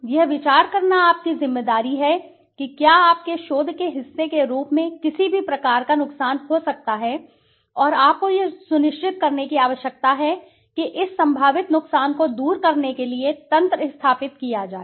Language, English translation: Hindi, It is your responsibility to consider whether any type of harm could occur as part of your research and you need to ensure that mechanisms are instituted to remove this potential harm